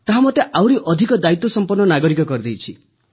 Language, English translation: Odia, It has made me a more responsible citizen Sir